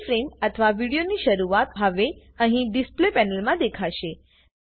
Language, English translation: Gujarati, The first frame or the beginning of the video will now be visible in the Display panel here